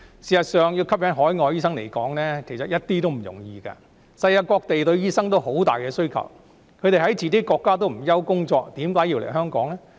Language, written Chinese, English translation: Cantonese, 事實上，要吸引海外醫生來港執業毫不容易，世界各地都對醫生有龐大需求，他們在自己國家也不愁沒有工作，為何要來港執業呢？, As a matter of fact it is by no means easy to attract overseas doctors to practise in Hong Kong . Given the huge demand for doctors all over the world they need not worry about getting a job in their own countries so why do they have to practise in Hong Kong?